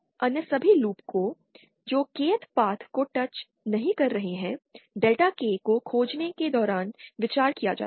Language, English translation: Hindi, All other loops which do not touch the Kth path will be considered while finding out Delta K